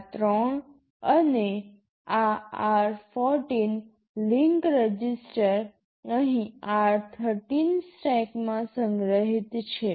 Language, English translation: Gujarati, These three and also this r14 link register are stored in r13 stack here